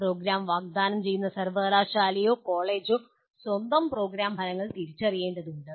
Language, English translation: Malayalam, It is for the university or the college offering the program will have to identify its own program outcomes